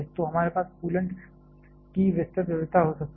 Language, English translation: Hindi, So, we can have wide variety of coolant